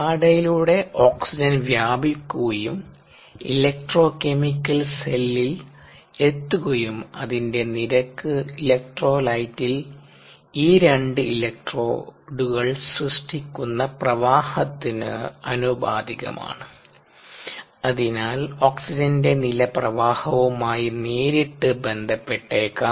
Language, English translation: Malayalam, the rate at which oxygen, ah rith permeates through the membrane and reaches the electro chemical cell is proportional to the current that is generated by these two electrodes in the electro light, and therefore the oxygen level can be directly related to the current, ah